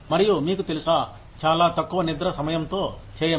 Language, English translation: Telugu, And, you know, do with very little sleep time